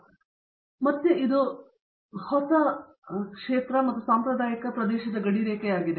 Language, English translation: Kannada, So, again this is again border line of novel and traditional area